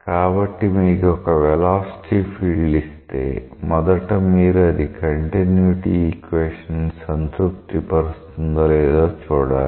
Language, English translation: Telugu, So, if you are given a velocity field, you must first check whether it is satisfying the continuity equation